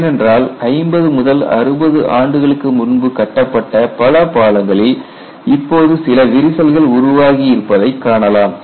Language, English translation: Tamil, Because if you look at many of the bridges built fifty to sixty years back, now they are all develop cracks and if you do not salvage it you have to rebuild up